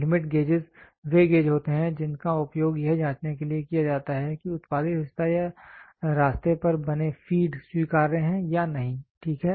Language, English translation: Hindi, Limit gauges are gauges which are used to check whether the part produced or the feeds are made on the path is acceptable or not, ok